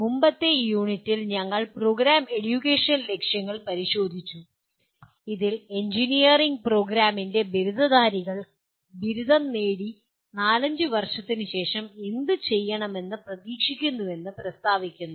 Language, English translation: Malayalam, In the earlier unit we looked at Program Educational Objectives, which state that what the graduates of an engineering program are expected to be doing 4 5 years after graduation